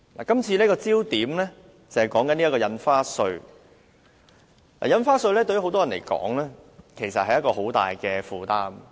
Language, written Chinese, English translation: Cantonese, 今次討論的焦點是印花稅。對不少人來說，印花稅其實是很大的負擔。, The focus of this discussion is stamp duty which is a heavy burden for many people